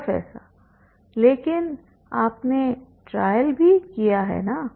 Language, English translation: Hindi, But you have also done trial right